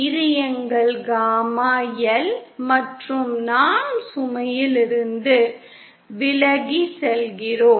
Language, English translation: Tamil, This is our gamma L and this is we are going away from the load